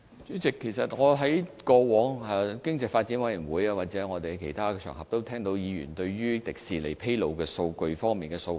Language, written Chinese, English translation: Cantonese, 主席，我在經濟發展事務委員會或其他場合，也曾經聽到議員就迪士尼披露數據方面表達的訴求。, President I have heard Members demand regarding information disclosure of Disneyland in the Panel on Economic Development and on other occasions